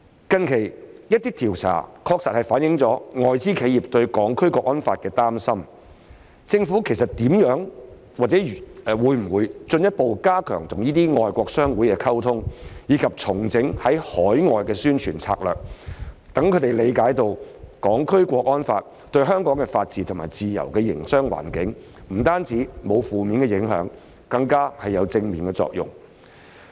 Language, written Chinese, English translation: Cantonese, 近期，一些調查確實反映外資企業對《香港國安法》的擔心，政府會否進一步加強與外國商會溝通，以及重整海外宣傳策略，讓他們理解《香港國安法》對香港的法治、自由的營商環境不單沒有負面影響，更有正面作用？, The recently signed Regional Comprehensive Economic Partnership is a good case in point . As some recent surveys do indicate concerns of foreign enterprises about the National Security Law will the Government further step up communication with foreign chambers of commerce and revamp its overseas publicity strategy to make them understand that not only does the National Security Law have no negative impacts on Hong Kongs rule of law and free business environment but it also has positive impacts?